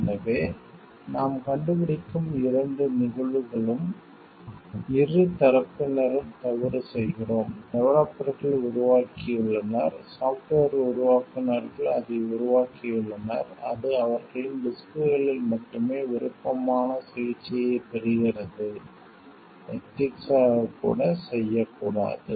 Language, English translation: Tamil, So, in both the cases that we find it is, we find here like both the parties are at fault the developers have developed it in such the software developers have developed it in such a way, that it is only in their disks who is getting a preferred treatment, which should not be done ethically